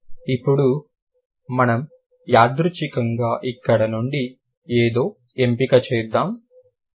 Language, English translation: Telugu, Now let's randomly choose something from here